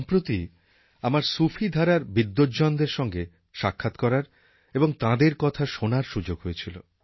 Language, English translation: Bengali, Sometime back, I had the opportunity to meet the scholars of the Sufi tradition